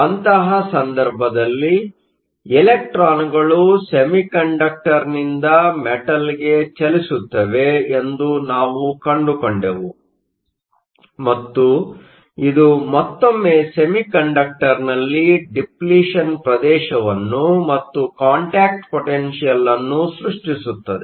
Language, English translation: Kannada, In such a case, we found that electrons will travel from the semiconductor to the metal, and this will again create a depletion region in the semiconductor and a contact potential